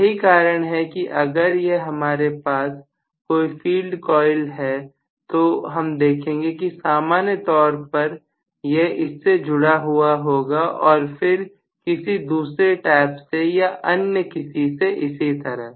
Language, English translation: Hindi, That is the reason why if this is the field coil, we are going to have normally this is connected here, may be another tap, another tap and so on